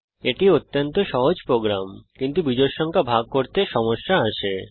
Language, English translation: Bengali, It is a very trivial program but the issue comes in dividing odd numbers